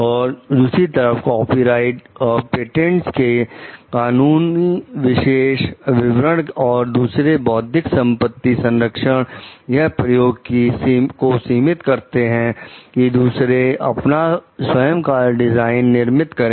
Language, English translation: Hindi, On the other hand, legal specifications of copyrights and patents and other intellectual property protections are intended to limit the use of that others can make of one s designs